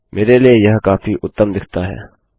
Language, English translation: Hindi, To me that looks a lot neater